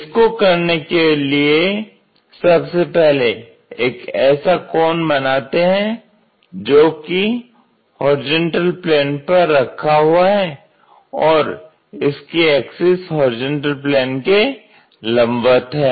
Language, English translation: Hindi, To do that first of all make a cone resting on horizontal plane, so that it axis is perpendicular to horizontal plane